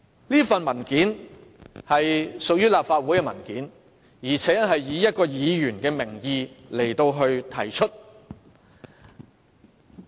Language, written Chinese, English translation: Cantonese, 有關的文件屬於立法會文件，以一位議員的名義提出。, The document in question is a paper of the Legislative Council submitted in the name of a Member